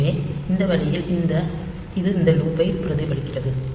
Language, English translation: Tamil, So, this way it mimics the behavior of this loop here